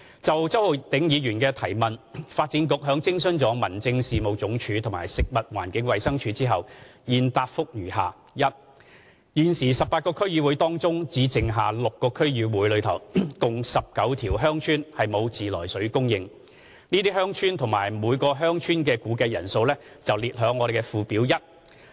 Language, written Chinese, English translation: Cantonese, 就周浩鼎議員的質詢，發展局在徵詢民政署及食環署後，現答覆如下：一現時 ，18 個區議會當中，只剩下6個區議會內共19條鄉村沒有自來水供應，這些鄉村及每條鄉村的估計人口列於附表一。, Having consulted HAD and FEHD the reply of the Development Bureau to Mr Holden CHOWs question is as follows 1 Of the 18 District Councils DCs there remain 19 villages in six DCs that do not have treated water supply . These villages and their respective estimated population are listed in Annex 1